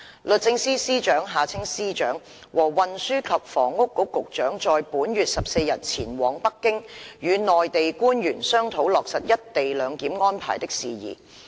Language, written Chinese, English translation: Cantonese, 律政司司長和運輸及房屋局局長在本月14日前往北京，與內地官員商討落實一地兩檢安排的事宜。, On the 14 of this month the Secretary for Justice SJ and the Secretary for Transport and Housing went to Beijing to discuss with Mainland officials issues relating to the implementation of the co - location arrangements